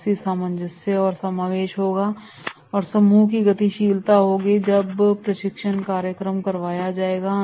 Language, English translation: Hindi, There will be the cohesion and consolidation will be there, there will be proper group dynamics while attending the training program